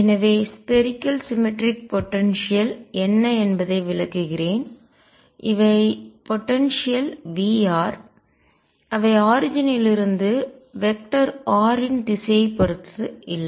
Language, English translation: Tamil, So, let me explain what spherically symmetric potentials are these are potentials V r which do not depend on the direction of vector r from the origin